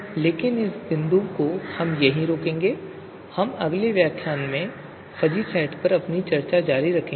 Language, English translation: Hindi, But we will stop at this point and we will continue our discussion on fuzzy sets in the next lecture